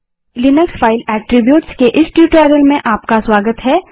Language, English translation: Hindi, Welcome to this spoken tutorial on Linux File Attributes